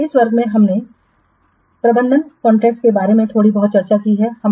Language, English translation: Hindi, So, in this class we have discussed a little bit of introduction to managing contracts